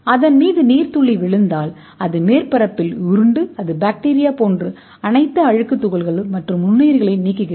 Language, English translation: Tamil, I mean in the water droplet at falls on that is it rolls on the surface and it remove all the dirt particles or bacteria